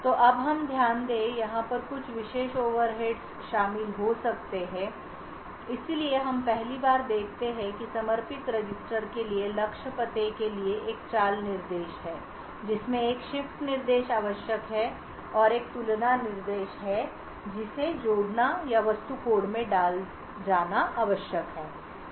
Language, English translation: Hindi, So now we note that there could be certain overheads involved over here so we first see that there is a move instruction for the target address to the dedicated register there is a shift instruction required and there is a compare instruction that is required to be added or to be inserted into the object code